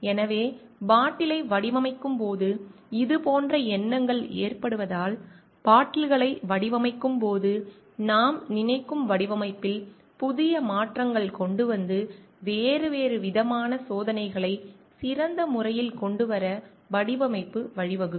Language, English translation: Tamil, So, these kind of thoughts like which occur at the back of designing of bottle, so bring in new changes in the design which is we think of while designing bottles and may lead to like different set of experiments to come up with the best possible design